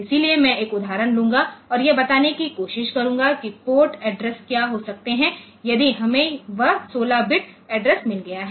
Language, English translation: Hindi, So, we can ok; I will take an example and try to explain what may be the port addresses like say if I have got that 15 bit sorry 16 bit address